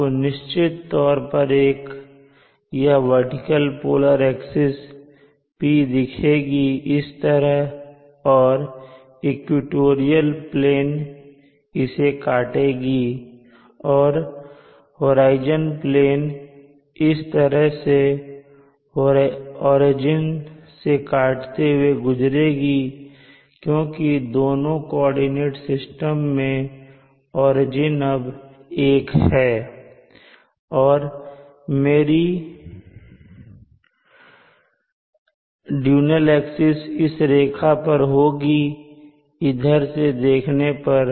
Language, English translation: Hindi, You will see of course this vertical axis t the polar axis like this and then viewing from this direction the equatorial plane will cut across as the equatorial plane and the horizon plane cuts across and we saw that cuts across through the origin because we have made the origins of the two coordinate system the same and the horizon plane cutting through the horizon will look like this from this view direction